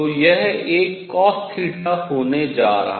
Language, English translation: Hindi, So, this is going to be a cosine of theta